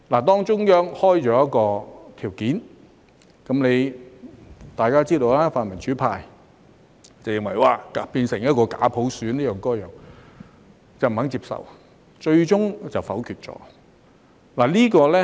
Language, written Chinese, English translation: Cantonese, 當中央開出一些條件，大家也知道，泛民主派認為這會變成假普選或這樣那樣的，於是不肯接受，最終否決了。, When the Central Authorities set out some criteria as we all know the pan - democratic camp refused to accept them since they believed that it would give rise to a bogus universal suffrage or result in this and that and they vetoed the proposal eventually